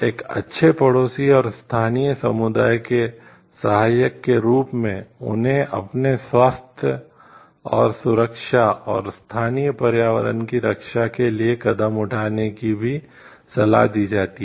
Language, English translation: Hindi, Being a good neighbor to, and supporter of the local community including advising them to measures, taken to protect their health and safety and the local environment